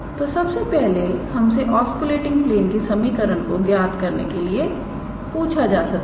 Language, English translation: Hindi, So, first I am being asked to calculate the we are being asked to calculate the equation of the osculating plane